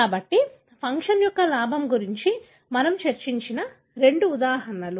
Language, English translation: Telugu, So, that are the two example that we discussed about gain of function